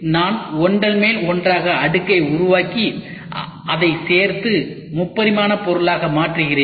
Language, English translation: Tamil, I make layer by layer by layer, I stitch those layer by layer by layer and make it into a 3 D physical object